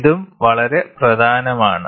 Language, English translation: Malayalam, This is also very very important